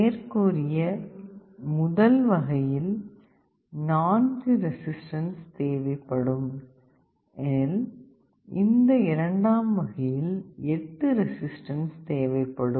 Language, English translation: Tamil, In the earlier method, we were requiring only 4 resistances, but here if you need 8 resistances